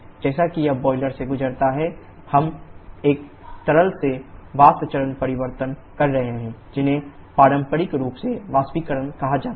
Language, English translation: Hindi, As it is passes through the boiler, we are having a liquid to vapour phase change which conventionally is called evaporation